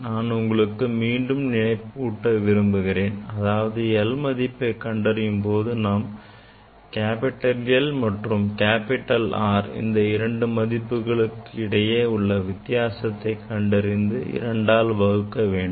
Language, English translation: Tamil, Now l you remember when you are measuring l, we are taking difference of two reading capital L and capital R left side reading and side reading divided by 2